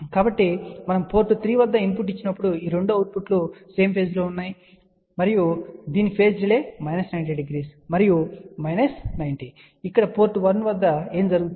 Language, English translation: Telugu, So, when we give a input at port 3, these 2 outputs are now in same phase and the phase delay at this is minus 90 and minus 90 and what happens here at port 1